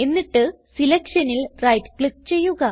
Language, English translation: Malayalam, Now, right click on the selection